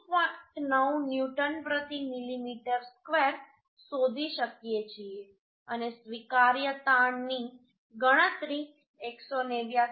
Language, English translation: Gujarati, 9 newton per millimetre square and the permissible stress calculated was 189